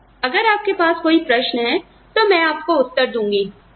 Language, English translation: Hindi, And, I will respond to you, if you have any questions